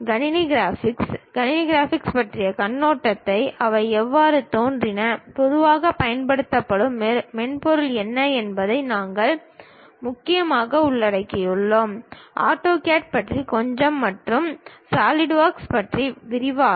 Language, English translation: Tamil, In computer graphics, we mainly cover overview of computer graphics, how they have originated and what are the commonly used softwares; little bit about AutoCAD and in detail about SolidWorks